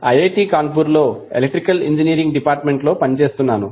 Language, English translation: Telugu, I am working with department of electrical engineering at IIT Kanpur